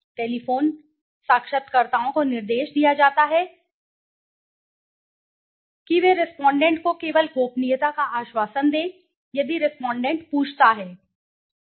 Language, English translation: Hindi, Telephone interviewers are instructed to assure the respondent of confidentiality only if the respondent asks